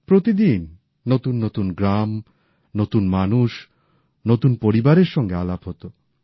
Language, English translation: Bengali, Every day it used to be a new place and people, new families